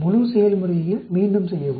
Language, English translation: Tamil, Repeat the whole process